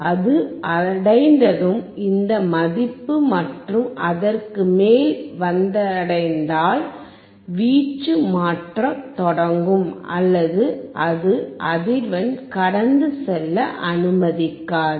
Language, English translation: Tamil, Once it reaches this value and above it will start changing the amplitude or it will not allow the frequency to pass